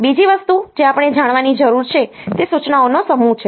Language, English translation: Gujarati, Second thing that we need to know is the set of instructions